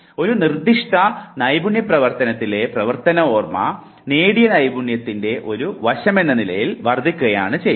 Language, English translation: Malayalam, A working memory in a specific skilled activity increases as one aspect of acquired skill